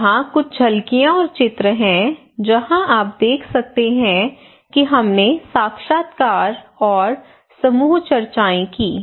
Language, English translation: Hindi, Here is some of the glimpse and picture you can see that we what we conducted open ended interview, group discussions